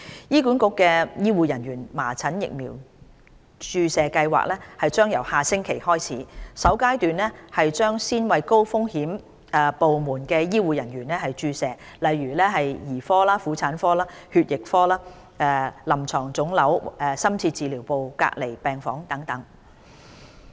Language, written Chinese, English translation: Cantonese, 醫管局醫護人員麻疹疫苗注射計劃將由下星期開始，首階段先為高風險部門的醫護人員接種疫苗，例如兒科、婦產科、血液科、臨床腫瘤科、深切治療部及隔離病房等。, Measles vaccination programme of the health care staff of HA will commence next week . Vaccinations will be provided to staff working in high risk departments such as paediatrics obstetrics and gynaecology haematology clinical oncology intensive care units and isolation wards in the first phase